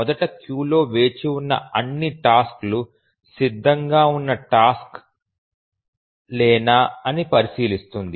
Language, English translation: Telugu, Let's first examine if all the tasks are ready tasks are waiting in a queue